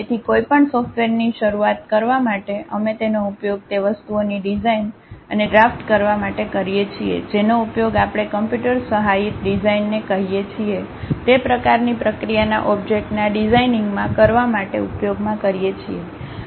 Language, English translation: Gujarati, So, to begin with any software, we use that to design and draft the things especially we use computers to use in designing objects that kind of process what we call computer aided design